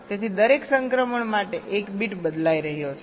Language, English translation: Gujarati, so for every transition one bit is changing